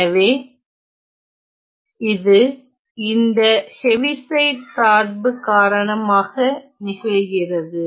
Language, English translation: Tamil, So, this happens due to the Heaviside function